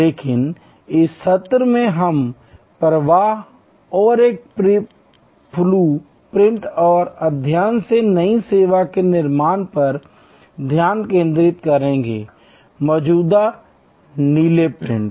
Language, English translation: Hindi, But, in this couple of session we will more focus on the flow and a process blue print and creation of new service from studying, existing blue prints